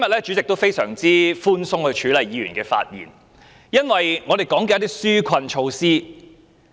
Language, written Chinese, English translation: Cantonese, 主席今天非常寬鬆地處理議員的發言，因為大家所討論的是紓困措施。, The President has been much less rigid in dealing with Members speeches today . The reason may be that Members discussions are focused on relief measures